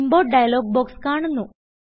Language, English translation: Malayalam, The Import dialog box appears